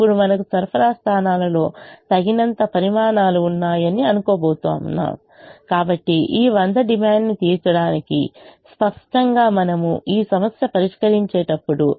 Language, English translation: Telugu, now we are going to assume that we have enough quantities in the supply points so as to meet this demand of hundred